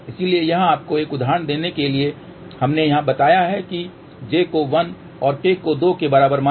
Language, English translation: Hindi, So, just to give you an example here, we have taken here let say j equal to 1 and k equal to 2